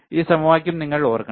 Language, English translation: Malayalam, And you have to remember this equation